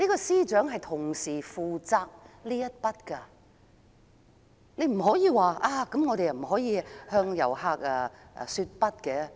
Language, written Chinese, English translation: Cantonese, 司長同時負責這方面的工作，他說不可以向遊客說"不"。, Yet the Financial Secretary does not think we should say no to visitors